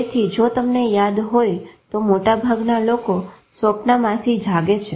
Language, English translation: Gujarati, So if you remember most people wake up from dream